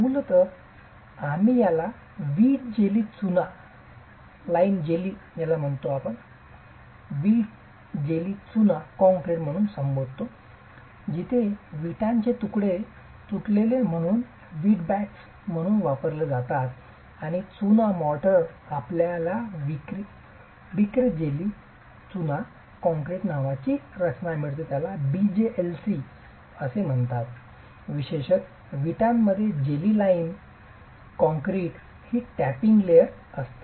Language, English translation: Marathi, Basically we refer to this as brick jelly lime concrete where broken pieces of bricks are used as brick baths and in lime mortar you get a composition called brick jelly lime concrete referred to as BJLC typically in specifications